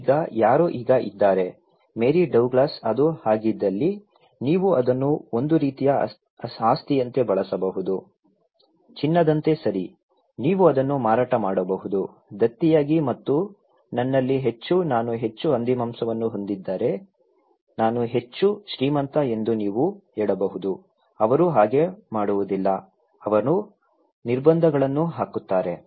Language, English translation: Kannada, Now, somebody is now, Mary Douglas is arguing that if it is so, then you can use it like a kind of asset, okay like gold, you can sell it, when as an endowment and you can say the more pork I have, more rich I am, more pigs I have but they didnít do, they only put restrictions